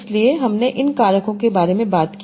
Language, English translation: Hindi, So you are, we talked about these factors, right